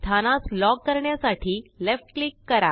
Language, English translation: Marathi, Left click to lock the position